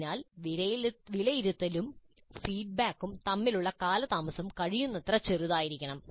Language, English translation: Malayalam, So the delay between assessment and feedback must be as small as possible